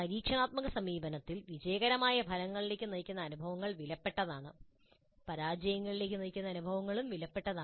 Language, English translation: Malayalam, In experiential approach experiences which lead to successful results are valuable, experiences which lead to failures are also valuable